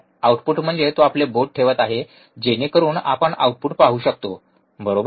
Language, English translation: Marathi, Output is see he is he is placing his finger so, that we can see the output, right